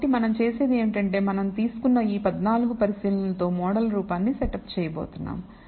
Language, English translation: Telugu, So, what we do is we have these 14 observations we have taken and we are going to set up the model form